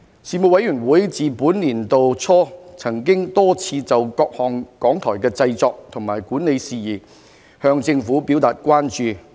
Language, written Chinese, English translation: Cantonese, 事務委員會自本年度初曾多次就各項港台的製作和管理事宜向政府表達關注。, Since the beginning of this year the Panel had repeatedly expressed concern to the Government on various production and management issues of RTHK